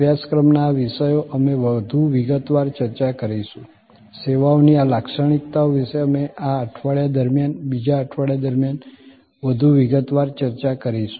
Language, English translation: Gujarati, These topics of course, we will discuss more in detail, these characteristics of services we will discuss more in detail during this week, the second week